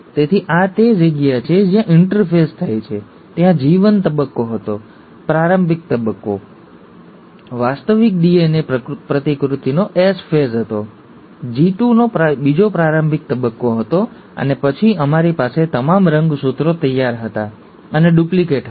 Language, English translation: Gujarati, So this is where the interphase happens, there was a G1 phase, the preparatory phase, the S phase of actual DNA replication, the second preparatory phase of G2, and then, we had all the chromosomes ready and duplicated